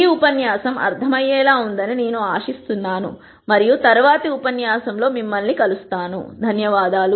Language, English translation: Telugu, I hope this lecture was understandable and we will see you again in the next lecture